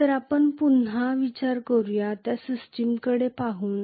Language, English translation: Marathi, So let us again look at system what we had considered